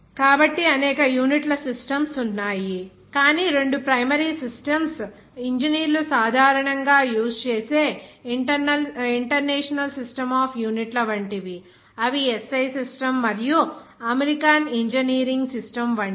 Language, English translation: Telugu, So there are several systems of units, but two primary systems are engineers generally use those are like International System of units that is SI s system and American engineering system of the unit